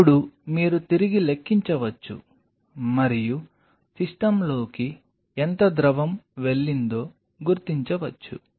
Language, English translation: Telugu, Now, you can back calculate and figure out how much fluid has gone into the system